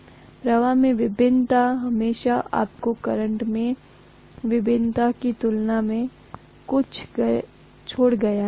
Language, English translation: Hindi, So the variation in the flux is always you know kind of left behind as compared to the variation in the current